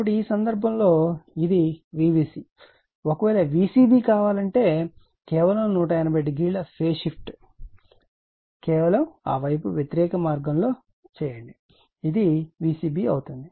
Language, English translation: Telugu, So, in this case you are this is my V b c if I want V c b just 180 degree phase shift just make other way opposite way this is my V c b right